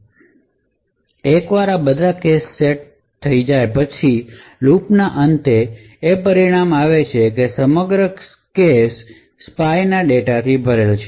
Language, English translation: Gujarati, So, once this is done for all the cache sets what good result at the end of this for loop is that the entire cache is filled with spy data